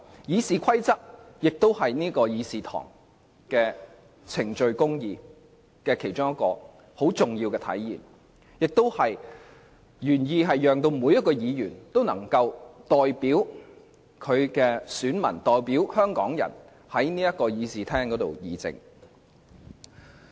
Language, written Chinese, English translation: Cantonese, 《議事規則》是議事堂上程序公義的重要體現，原意是讓每位議員都能夠代表其選民和香港人在議事堂上議政。, RoP crucially manifests procedural justice in the Legislative Council . The original intent is to enable Members to discuss policies in the Legislative Council on behalf of their voters and Hong Kong people